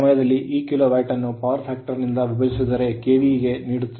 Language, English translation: Kannada, So, at that time, if I because this is Kilowatt divided by power factor will give you KVA right